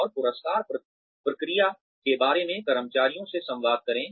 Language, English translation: Hindi, And, communicate to the employees, about the rewards process